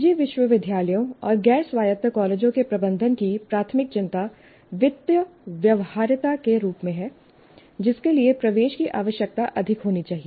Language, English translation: Hindi, Now, management of private universities and non autonomous colleges have their primary concern as a financial viability which requires admission should be high